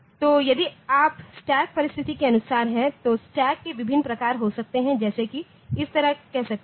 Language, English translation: Hindi, So, if you as per as the stack circumstance, so there can be different variants of the stack, like say like this